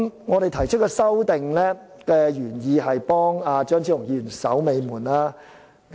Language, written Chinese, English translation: Cantonese, 我們提出修正案的原意是為張超雄議員"守尾門"。, Our original intention in proposing the amendments is to play a final gate - keeping role for Dr Fernando CHEUNG